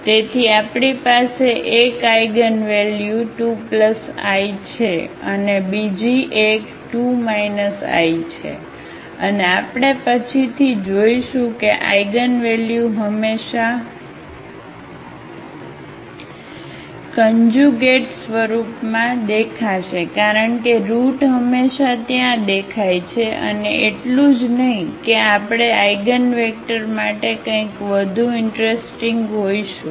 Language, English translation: Gujarati, So, we have 1 eigen value 2 plus i another one is 2 minus i and we will see later on that these eigenvalues will always appear in conjugate form as the root always appears there and not only that we will have something more interesting for the eigenvectors corresponding to these conjugate eigenvalues